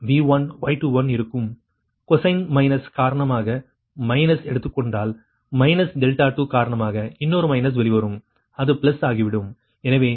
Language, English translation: Tamil, if you take minus because of cosine minus and because of minus delta two, another minus will come out, so it will be plus